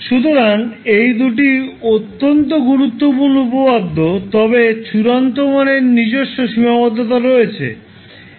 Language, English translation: Bengali, So these two are very important theorems but the final value theorem has its own limitation